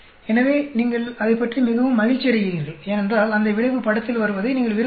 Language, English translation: Tamil, So, you are very happy about it, because you do not want that effect coming into the picture